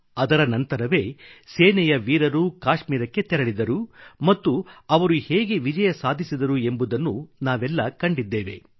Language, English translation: Kannada, And immediately after that, our troops flew to Kashmir… we've seen how our Army was successful